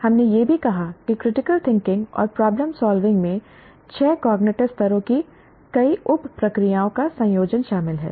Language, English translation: Hindi, We also noted that critical thinking and problem solving involve combination of several sub processes of the six cognitive levels